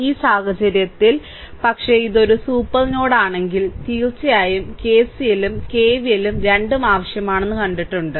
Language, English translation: Malayalam, So, in this case, but if it is a super node, then of course, we have seen KCL and KVL both require